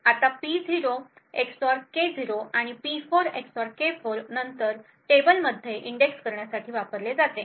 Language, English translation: Marathi, Now this P0 XOR K0 and P4 XOR K4 is then used to index into a table